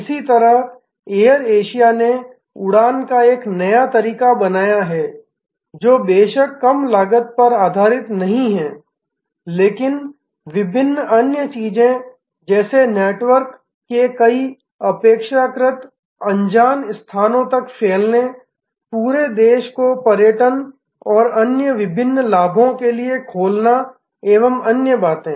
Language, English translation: Hindi, Similarly, Air Asia has created a new way of flying that is of course, based on not only low cost, but different other things like a spread of network to many relatively unknown places, opening up whole countries to the benefits of tourism and various other things